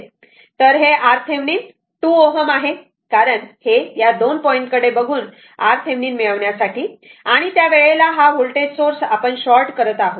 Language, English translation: Marathi, So, it is very simple R thevenin is equal to 2 ohm; because this from this 2 point you are looking to get that R thevenin and at that time you are making this voltage source short